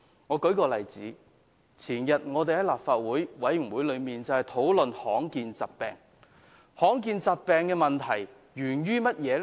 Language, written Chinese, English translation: Cantonese, 我舉一個例子，在前天的立法會衞生事務委員會會議上，我們討論罕見疾病，罕見疾病的問題源於甚麼呢？, Let me cite an example . Two days ago we discussed rare diseases at the meeting of the Panel on Health Services of the Legislative Council . What is the origin of rare diseases?